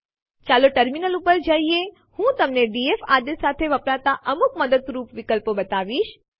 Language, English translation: Gujarati, Let us shift to the terminal, I shall show you a few useful options used with the df command